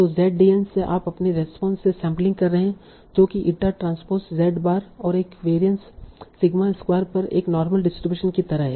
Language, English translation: Hindi, So from your ZDN you are sampling your response that is like a normal distribution over eta transpose z bar and a variance sigma square